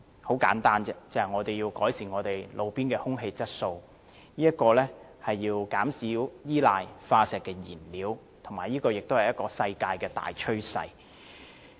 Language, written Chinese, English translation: Cantonese, 很簡單，就是為了改善路邊空氣質素，減少依賴化石燃料，這也是世界的大趨勢。, The reason is very simple . We want to improve roadside air quality and reduce reliance on fossil fuels and the latter is already a world trend